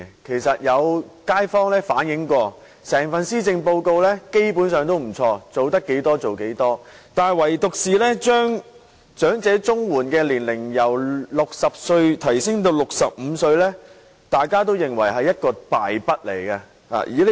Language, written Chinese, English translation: Cantonese, 其實有街坊反映過，整份施政報告基本上也不錯，做到多少便做多少，但唯獨把長者綜援年齡由60歲提高至65歲，大家都認為是一項敗筆。, In fact some residents conveyed the view that the Policy Address this year is basically quite good having done as much as it can . However they all thought that raising the eligible age for elderly CSSA from 60 to 65 was a mistake